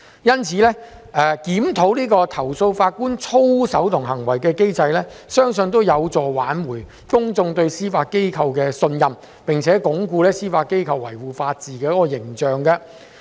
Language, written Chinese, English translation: Cantonese, 因此，檢討投訴法官操守及行為的機制，相信有助挽回公眾對司法機構的信任，並鞏固司法機構維護法治的形象。, For that reason I believe that a review on the existing mechanism for handling complaints against judges is conducive to restoring public confidence in the Judiciary and consolidating the image of the Judiciary in upholding the rule of law